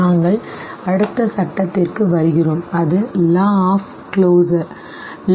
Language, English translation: Tamil, We come to the next law that is law of closure